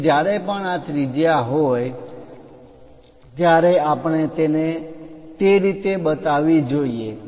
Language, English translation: Gujarati, So, whenever this radiuses are there, we have to show it in that way